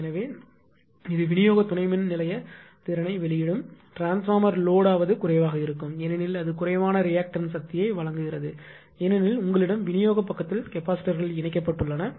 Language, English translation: Tamil, So, that is why it will release the distribution substation capacity because transformer loading will be less because it will supply less reactive power because you have shunt capacitors on the distribution side